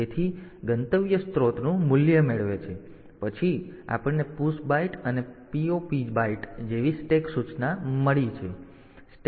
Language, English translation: Gujarati, So, destination gets the value of source then we have got stack instructions like PUSH byte and POP bytes